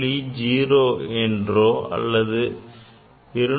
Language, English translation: Tamil, 0 or I could write 200